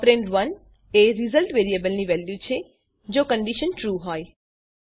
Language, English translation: Gujarati, Operand 2 is the value if the condition is false